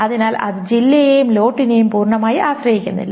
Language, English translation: Malayalam, So it is not fully dependent on district and lot